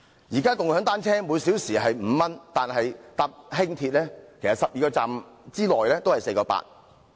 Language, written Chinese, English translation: Cantonese, 現時共享單車每小時收費是5元，但乘搭輕鐵 ，12 個站的車費也只是 4.8 元。, At present the charge of shared bicycles is 5 per hour but it costs only 4.8 to travel 12 stations on the Light Rail